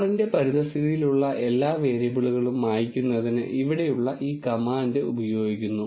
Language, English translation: Malayalam, And this command here is used to clear all the variables in the environment of R